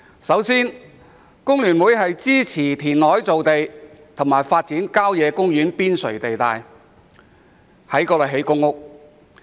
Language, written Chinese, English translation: Cantonese, 首先，工聯會支持填海造地及發展郊野公園邊陲地帶作興建房屋用途。, First of all FTU supports land formation by reclamation and development of sites on the periphery of country parks for housing construction